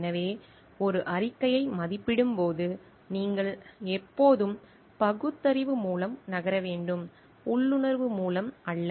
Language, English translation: Tamil, So, while evaluating a report, you should always be moving by reasoning and not by intuition